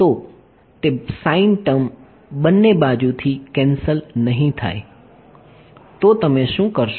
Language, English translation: Gujarati, So, that sin term will not cancel off on both sides then what will you do